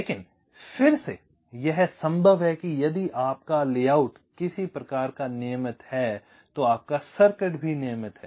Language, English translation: Hindi, ok, but again, this is possible if your layout is some sort of regular, your circuit is regular